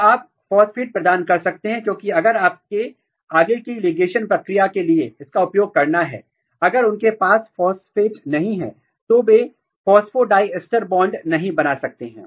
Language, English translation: Hindi, So, then you can put provide phosphate because if you have to use this for further ligation process, if they do not have phosphate at their end, then they cannot make a phosphodiester bond